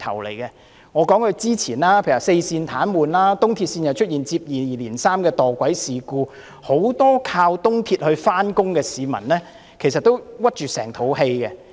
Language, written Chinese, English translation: Cantonese, 例如早前的四線癱瘓，東鐵線又出現接二連三的墮軌事故，很多依靠東鐵線上班的市民都是一肚子氣。, For instance the previous service disruption of four railway lines and the successive incidents of passengers falling onto the track of East Rail Line have exasperated many commuters relying on East Rail Line